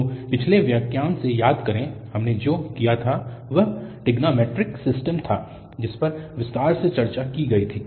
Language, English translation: Hindi, So, just to recall form the previous lecture what we have done that was the trigonometric system which was discussed in detail